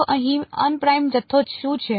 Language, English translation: Gujarati, So, what is the unprimed quantity here